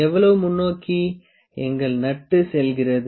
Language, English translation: Tamil, How much forward does our screw our nut go